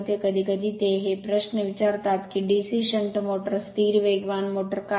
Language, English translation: Marathi, Sometimes they ask these questions that why DC shunt motor is a constant speed motor